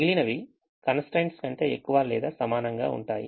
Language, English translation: Telugu, rest of them all are greater than or equal to constraints